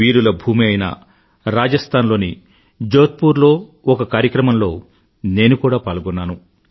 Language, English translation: Telugu, I too participated in a programme held at Jodhpur in the land of the valiant, Rajasthan